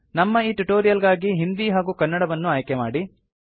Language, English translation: Kannada, For our tutorial Hindi and Kannada should be selected